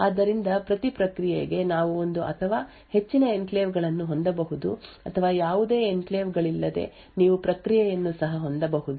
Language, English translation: Kannada, So, per process you could have one or more enclaves or you could also have a process without any enclaves as well